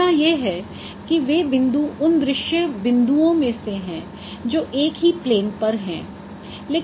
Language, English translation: Hindi, So, the assumption is that those points they belong to a scene points which are lying on the same plane